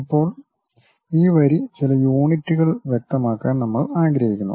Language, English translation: Malayalam, Now, this line we would like to specify certain units